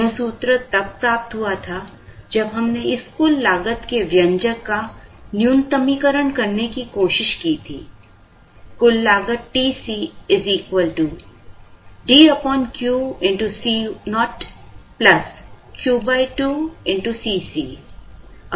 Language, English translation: Hindi, This formula was derived when we tried to minimize this expression; total cost is equal to D by Q into C naught plus Q by 2 into C c